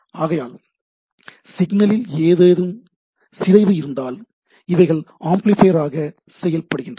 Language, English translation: Tamil, So, if there is a degradation of the signal, they act as a amplifier